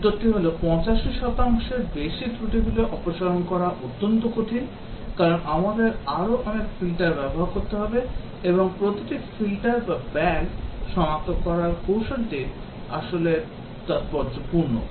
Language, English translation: Bengali, The answer is that, is very difficult becomes extremely expensive to remove much more defects then 85 percent, because we would have to use many more filters and each filter or bug detection technique is actually heuristic